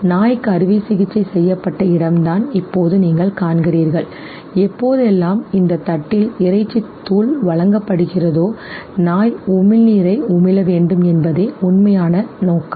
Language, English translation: Tamil, Now you see this is the point where the surgery was performed and the actual intention was that whenever in this very plate, whenever the meat powder will be presented the dog would salivate